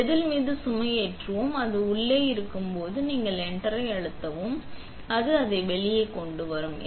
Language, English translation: Tamil, We will just load the wafer on and when it is in, you press enter and it will bring it up